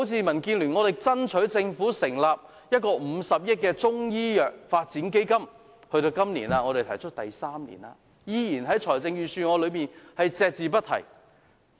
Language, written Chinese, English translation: Cantonese, 民建聯向政府爭取成立一個50億元的中醫藥發展基金，提出至今已是第三年，預算案依然隻字不提。, It has been three years since DAB first requested the Government to set up a 5 billion Chinese medicine development fund but the Budget is still silent about it